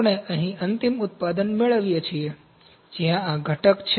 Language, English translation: Gujarati, We get the final product here, where out of this component